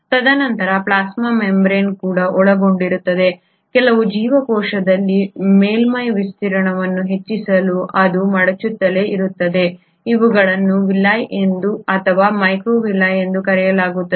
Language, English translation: Kannada, And then the plasma membrane also consists of, in some cells it keeps on folding itself to enhance the surface area, these are called as Villi or microvilli